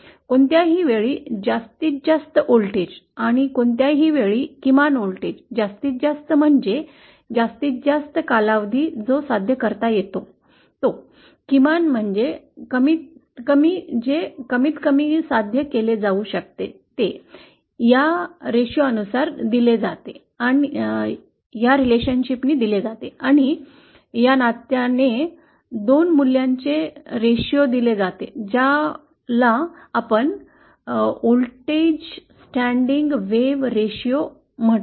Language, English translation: Marathi, The maximum voltage at any point and the minimum voltage at any point, maximum means the maximum that can be achieved over time, minimum also means minimum that can be achieved over time is given by this ratio and by this relationship the ratio of these 2 values is what you called as the voltage standing wave ratio